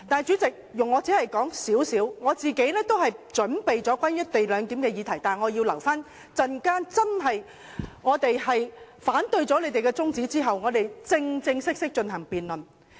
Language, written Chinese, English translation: Cantonese, 主席，我本身早已準備好討論"一地兩檢"的議題，但要留待稍後否決他們提出的中止待續議案後，我們才能正式辯論。, President I am actually ready for debating the co - location arrangement . But now we must wait until their adjournment motion is negatived before we can start the debate formally